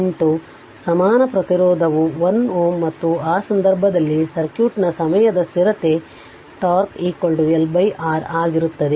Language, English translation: Kannada, 8 equivalent resistance is 1 ohm right and in that case time constant of the circuit will be tau is equal to L by R right